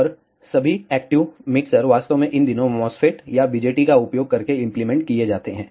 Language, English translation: Hindi, And all the active mixers are actually implemented using MOSFETs or BJTs these days